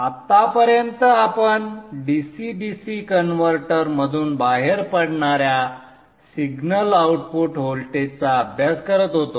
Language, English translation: Marathi, Till now we have been studying a single output voltage coming out of the DCDC converter